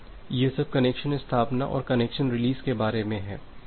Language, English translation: Hindi, So, that is all about the connection establishment and connection release